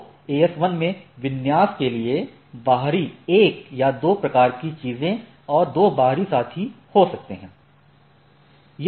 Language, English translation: Hindi, So, AS1 can have different AS 1 1 2 type of things and two peers external to the configuration